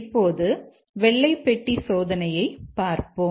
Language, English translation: Tamil, Now, let's look at white box testing